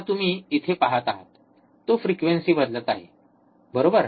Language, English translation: Marathi, Now, you see here, he is changing the frequency, right